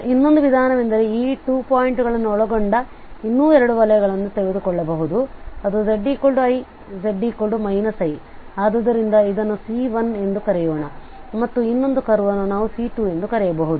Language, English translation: Kannada, The another approach could be that we can think of as we can take two more circles that enclosed these 2 points, z is equal to i z minus i, so let us call it as C1 and the another curve here we can call it as C2